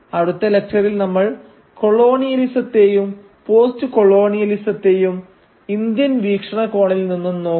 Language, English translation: Malayalam, And in the next lecture we will start looking at colonialism and postcolonialism from within the Indian perspective